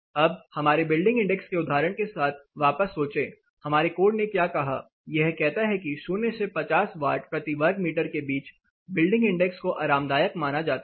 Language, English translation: Hindi, Now think back with our building index example, what did our code say; it says that building index between 0 to 50 watts per meter square is deemed to be comfortable